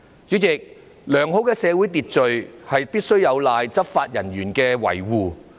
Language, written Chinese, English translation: Cantonese, 主席，良好的社會秩序，必須有賴執法人員的維護。, President the maintenance of good social order is dependent on law enforcement officers